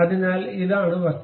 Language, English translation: Malayalam, So, this is the object